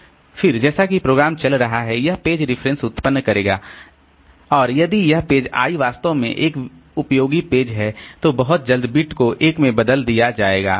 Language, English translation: Hindi, Then as the program is running, so it will generate page references and if this page I is really an useful page then very soon the bit will be turned to 1